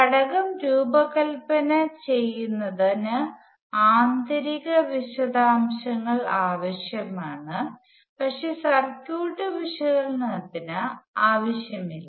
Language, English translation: Malayalam, The internal details are required for designing the element, but not for circuit analysis